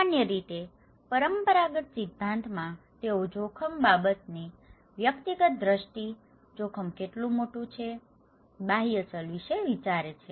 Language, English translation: Gujarati, Generally, in the conventional theory, they think that individual's perception of risk matter, how big the hazard is; the exogenous variable